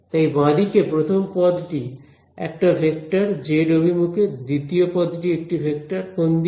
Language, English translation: Bengali, So, the left hand side the first term is a vector in the z direction, second term is a vector in which direction